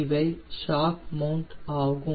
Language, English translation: Tamil, these are the shock mounts